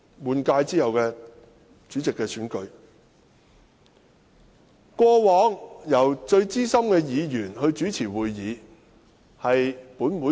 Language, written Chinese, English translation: Cantonese, 根據本會的傳統，主席選舉會議由最資深的議員主持。, By convention such a meeting is to be chaired by the most senior Member . This is a time - tested practice